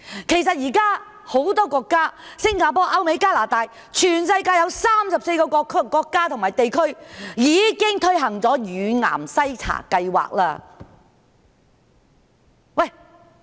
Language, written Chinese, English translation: Cantonese, 其實，現時很多地方——新加坡、歐美、加拿大等全球34個國家及地區——已經推行乳癌篩查計劃。, In many places such as Singapore Europe the United States Canada and 34 countries and regions around the world breast cancer screening programs have been implemented already